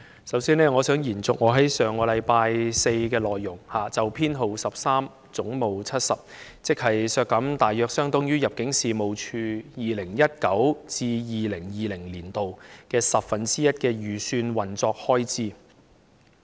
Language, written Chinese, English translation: Cantonese, 首先，我想延續我在上星期四就有關總目70的修正案，即削減大約相當於 2019-2020 年度入境事務處的十分之一預算運作開支的發言。, First I wish to continue with the speech I made last Thursday on the amendment concerning head 70 which seeks to reduce an amount roughly equivalent to one tenth of the estimated operating expenditure of the Immigration Department ImmD in 2019 - 2020